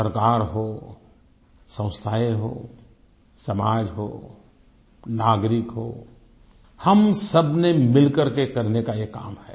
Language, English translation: Hindi, Be it the government, institutions, society, citizens we all have to come together to make this happen